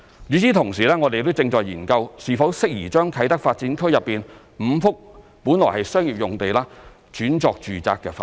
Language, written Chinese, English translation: Cantonese, 與此同時，我們正研究是否適宜將啟德發展區內5幅本來的商業用地轉作住宅發展。, Meanwhile we are examining whether it is suitable to convert five sites in KTDA originally zoned for commercial use to residential development